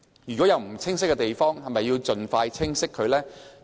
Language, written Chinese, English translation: Cantonese, 如果有不清晰的地方，是否應盡快釐清？, If there is any ambiguity should it be expeditiously clarified?